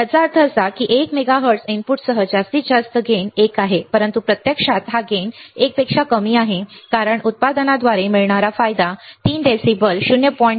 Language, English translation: Marathi, This means that with a one mega hertz input maximum gain is 1, but actually this gain is less than 1 because gain by product is defined as three dB decibel 0